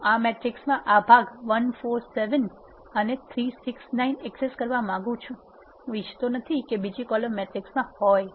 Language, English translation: Gujarati, I want to access in this matrix this part 1 4 7 and 3 6 9 I do not want this column to be in the matrix where I want to access